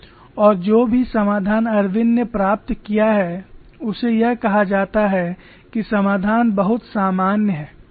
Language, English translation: Hindi, The solution that Irwin has obtained is termed as very general solution